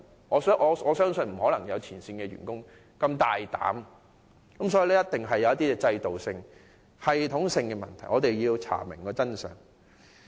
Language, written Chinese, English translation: Cantonese, 我相信沒有前線員工如此斗膽，背後一定有些系統性的問題，我們必須查明真相。, I do not believe frontline workers have the guts to do so . There must be some systemic problems that we have to find out